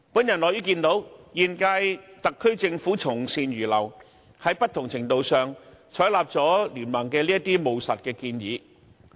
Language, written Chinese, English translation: Cantonese, 我樂於看見現屆特區政府從善如流，在不同程度上，採納了經民聯的務實建議。, I am glad that the incumbent SAR Government has taken on board BPAs pragmatic proposals at various degrees